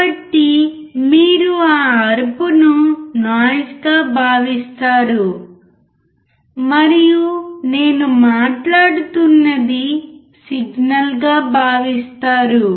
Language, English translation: Telugu, So, you consider that screaming as a noise, and whatever I am speaking as a signal